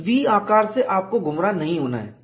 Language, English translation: Hindi, Do not get misled by this V shape